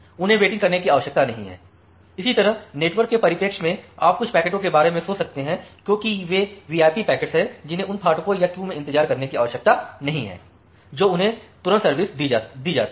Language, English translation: Hindi, So, they do not need to wait, similarly in the network perspective you can think of certain packets as those VIP packets which who do not need to wait at those gates or the queues they are served immediately